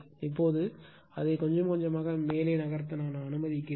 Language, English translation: Tamil, Now, let me clear it let me move little bit up right